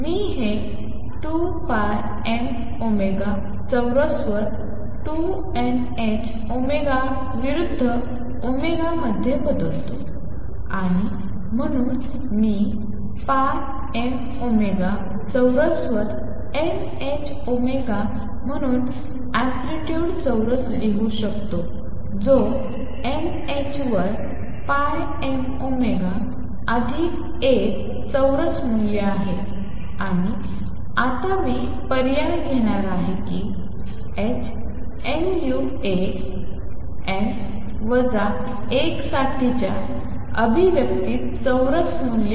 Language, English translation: Marathi, I change this to omega against 2 n h omega over 2 pi m omega square and therefore, I can write the amplitude square as n h omega over pi m omega square which is n h over pi m omega plus A square value and now I am going to substitute that A square value in the expression for h nu A n, n minus 1